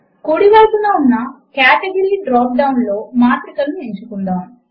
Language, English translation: Telugu, In the category drop down on the right, let us choose Matrices